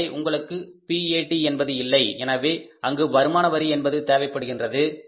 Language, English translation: Tamil, So, you arrive at the no pat so income tax is required there